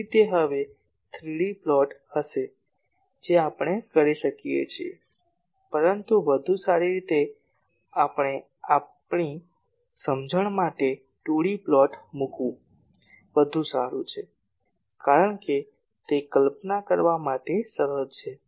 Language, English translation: Gujarati, So, that will be a 3D plot now we can do, but a better we will for our understanding it is better to put the 2D plots because that is easy to visualize